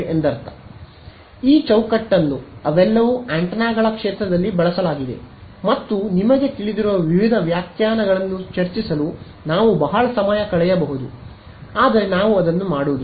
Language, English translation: Kannada, This, I mean this framework these terminologies they are all used in the field of antennas ok, and we can spend a long time discussing various definitions you know, but we shall not do that here ok